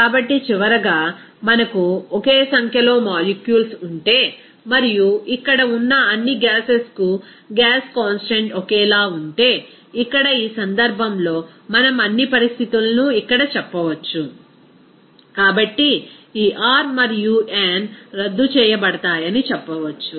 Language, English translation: Telugu, So, finally, if we have the same number of molecules and since the gas constant are same for all the gases here, so here in this case we can say that all conditions here, so we can say that this R and n will be canceled out from this portion